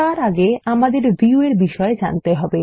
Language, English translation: Bengali, Before that, let us learn about Views